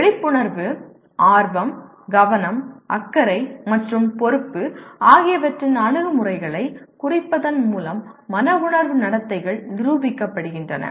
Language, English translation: Tamil, The affective behaviors are demonstrated by indicating attitudes of awareness, interest, attention, concern, and responsibility